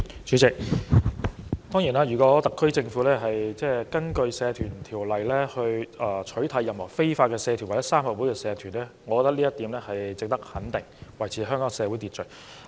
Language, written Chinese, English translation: Cantonese, 主席，如果特區政府根據《社團條例》取締任何非法社團或三合會社團，我認為這做法值得肯定，因為有助維持社會秩序。, President if the HKSAR Government bans any unlawful societies or triad societies under the Societies Ordinance I think this act is worth supporting because this will help maintain social order